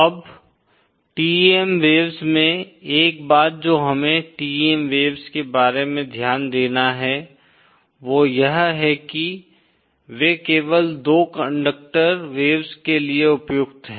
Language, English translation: Hindi, Now, TEM waves 1st thing we have to note about TEM waves is that they are applicable only for 2 conductor waveguides